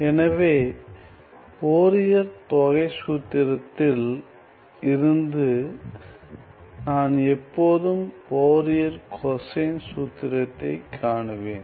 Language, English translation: Tamil, So then from Fourier integral formula I can always find Fourier cosine formula